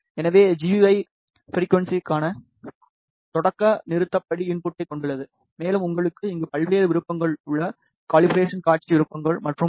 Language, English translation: Tamil, So, the GUI consists of start stop step input for frequency and you have various options available here calibration display options and so on